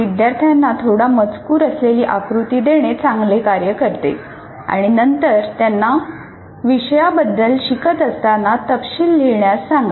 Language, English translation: Marathi, And it works well to give students a diagram with a little text on it and then ask them to add details as they learn about the topic